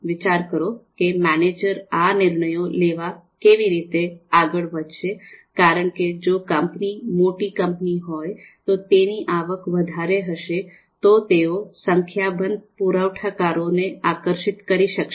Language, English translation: Gujarati, So just think about how a manager will go about making these decisions because if the company is a large company and is having you know higher revenues, then they would be able to attract a number of suppliers